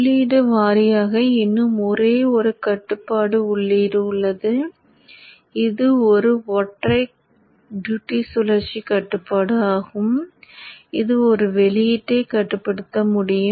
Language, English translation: Tamil, So therefore still control input wise there is only one control input which is one single duty cycle control which can control one output